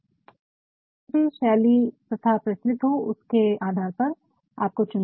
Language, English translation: Hindi, So, which style is prevalent based on that you have to choose